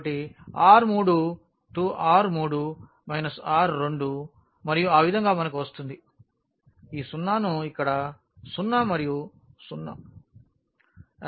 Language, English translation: Telugu, So, R 3 will be R 3 minus R 2 and in that way we will get this 0 here also 0 and 0